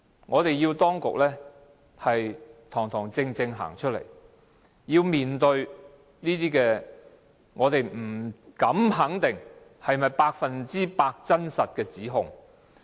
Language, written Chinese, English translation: Cantonese, 我們要求當局堂堂正正站出來，面對這些我們不敢肯定是否 100% 真實的指控。, We request the authorities to come out and face up to the accusations though we are not sure if these accusations are 100 % true